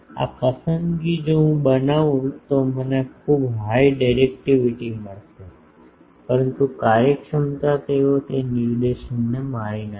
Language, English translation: Gujarati, This choice if I make I will get very high directivity, but the efficiencies they will kill that directivity